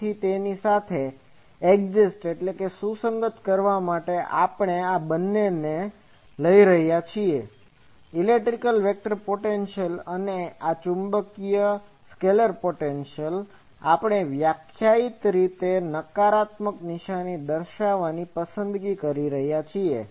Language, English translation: Gujarati, So, to adjust with that we are taking both these electric vector potential and this magnetic scalar potential, we are choosing by definition negative